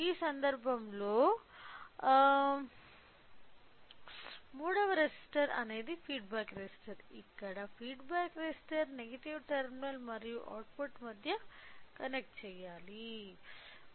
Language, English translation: Telugu, So, in this case the third resister is a feedback resistor where the feedback resistor should be connected between the negative terminal and the output